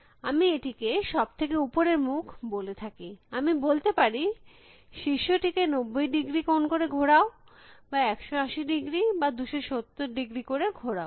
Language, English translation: Bengali, So, if I call this is a top face, I can say rotate the top by 90 degrees or rotate the top by 180 degrees or by 270 degrees